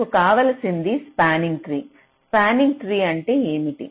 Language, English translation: Telugu, what we need is a tree is a spanning tree